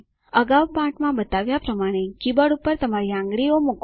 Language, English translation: Gujarati, Place your fingers on the keyboard as indicated earlier in the lesson